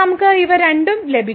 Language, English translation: Malayalam, So, we got these 2